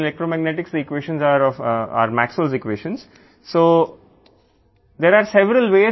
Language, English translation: Telugu, Then the equations everyone knows that electromagnetic the equations are of are Maxwell’s equations